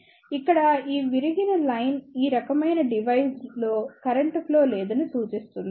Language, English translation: Telugu, Here, this broken line represents that there is no flow of current in these type of device